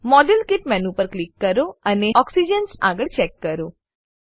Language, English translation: Gujarati, Click on the modelkit menu and check against oxygen